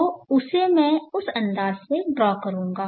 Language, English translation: Hindi, So I will draw that in that fashion